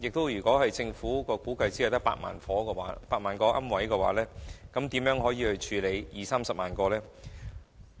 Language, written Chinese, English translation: Cantonese, 如果政府估計受影響的龕位只有8萬個，屆時將如何處理二三十萬個龕位？, If the Government estimates that only 80 000 niches are affected how is it going to deal with 200 000 to 300 000 niches?